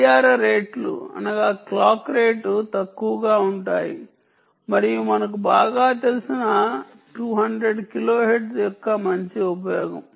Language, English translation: Telugu, clock rates are low and ah good use of the well known limited two hundred kilohertz that we know very well